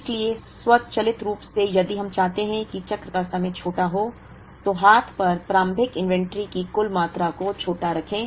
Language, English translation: Hindi, So, automatically if we want the cycle time to be smaller, then keep the total amount of initial inventory on hand keep it smaller